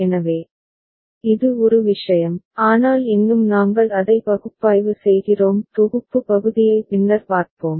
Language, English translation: Tamil, So, this is one thing, but still we are analyzing it; we shall look at the synthesis part later ok